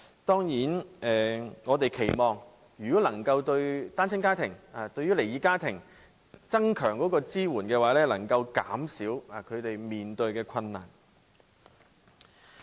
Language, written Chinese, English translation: Cantonese, 當然，我們期望如果能夠增強對單親家庭和離異家庭的支援，便能夠減少他們面對的困難。, Of course we expect that their difficulties can be reduced if our support to single - parent families and split families is stepped up